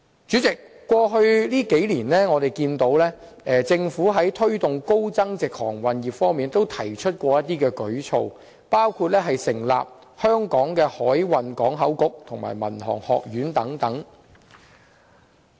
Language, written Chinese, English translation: Cantonese, 主席，過去數年，我們看到政府在推動高增值航運業方面也曾推出一些舉措，包括成立香港海運港口局和民航學院等。, President as we can see the Government has launched some initiatives to promote the of high - end maritime industry over the past few years including setting up the Hong Kong Maritime and Port Board as well as the Hong Kong International Aviation Academy